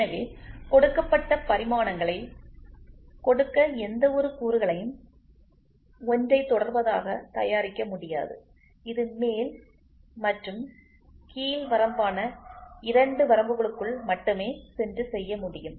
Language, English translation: Tamil, So, no component can be manufactured precisely to give the given dimensions, it can be only made to lie within two limits which is upper and lower limit